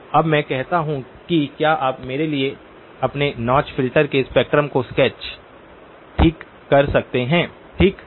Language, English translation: Hindi, So now I say can you please sketch for me the spectrum of your notch filter okay